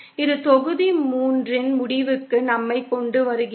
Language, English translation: Tamil, That brings us to an end of module 3